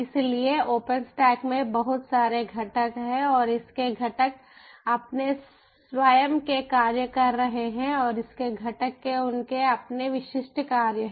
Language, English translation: Hindi, so in open stack, there are so many components and its components are ah, ah, acting their own a function and its component has their own specific functions, a